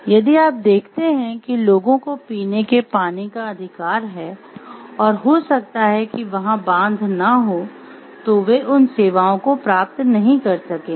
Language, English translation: Hindi, So, again if you see the people do have the right to drinking water and if maybe, so that if the dam is not there then they are not going to get those services